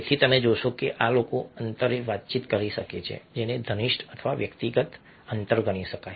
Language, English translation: Gujarati, hence you find that these people can converse at a distance which can be considered intimate, a personal distance